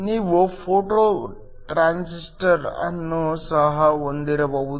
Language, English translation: Kannada, You could also have a photo transistor